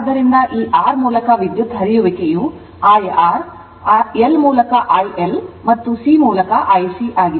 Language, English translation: Kannada, So, current flowing through this R is IR, through L, IL and through IC right